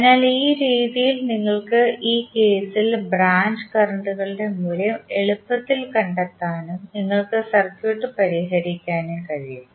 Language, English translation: Malayalam, So, in this way you can easily find out the value of currents of those are the branch currents in this case and you can solve the circuit